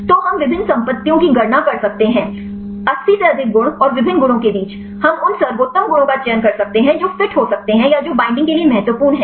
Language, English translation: Hindi, So, we can calculate various properties more than 80 properties and among the different properties; we can select the best properties which can fit or which are important for binding